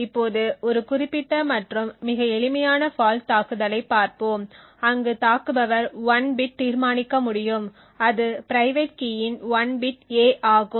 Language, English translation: Tamil, Now let us look at a particular and very simple fault attack where an attacker could determine 1 bit of a that is 1 bit of the private key a